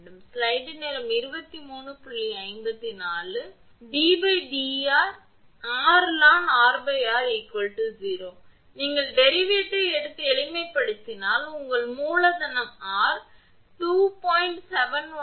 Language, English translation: Tamil, So, this happens while d dr in r l n capital R by small r is equal to 0, you take the derivate and simplify you will get capital R is equal to 2